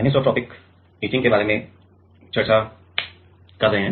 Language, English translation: Hindi, We are discussing about anisotropic etching